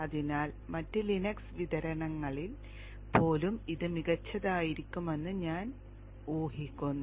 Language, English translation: Malayalam, So I guess that it should be fine even in other Linux distributions